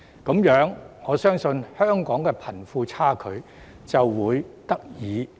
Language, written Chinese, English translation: Cantonese, 如是者，我相信香港的貧富差距便可以得以縮減。, That way I believe Hong Kongs wealth disparity can be narrowed down